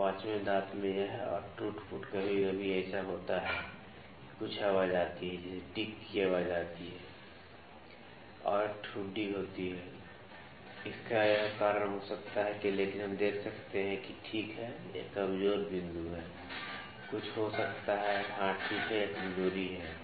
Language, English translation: Hindi, So, this more wear and tear in the 5th tooth some time these that there is some voice like tick tick tick voice comes and there is a knuckling, or certain reason for that might happen, but we can see that, ok, this is the weak point